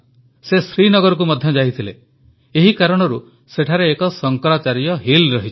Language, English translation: Odia, He also traveled to Srinagar and that is the reason, a 'Shankracharya Hill' exists there